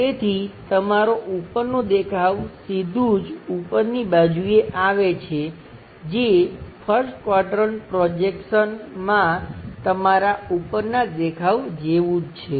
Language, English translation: Gujarati, So, your top view straight away comes at top side which is same as your top view in the 1st 1st quadrant projection